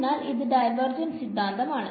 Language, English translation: Malayalam, So, this is your divergence theorem ok